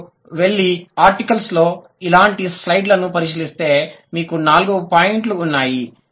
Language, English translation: Telugu, If you go and check similar slide in articles, you have four points